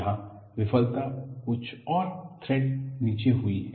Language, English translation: Hindi, Here, the failure has occurred a few threads below